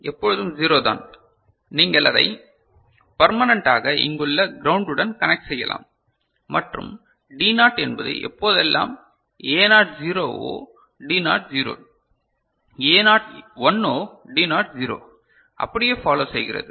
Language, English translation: Tamil, D1 is always 0 you can permanently can connect it to ground over here and D naught you can see whenever A naught is 0 D naught is 0, A naught is 1 D naught is 1, just following you know